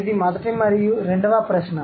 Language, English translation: Telugu, That's the first question